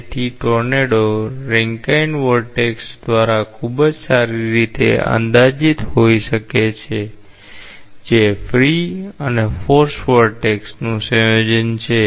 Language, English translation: Gujarati, So, a tornado may be very well approximated by a Rankine vertex which is a combination of free and forced vortex